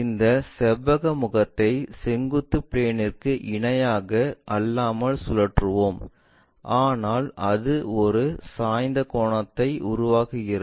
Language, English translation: Tamil, Let us rotate this rectangular face not parallel to vertical plane, but it makes an inclination angle